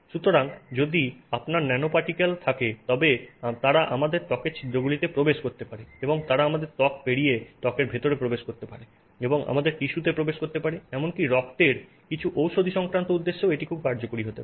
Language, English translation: Bengali, So, if you have nanoparticles they can enter the pores of our skin, they can go past our skin and enter into the skin and get into our you know tissues and maybe even the blood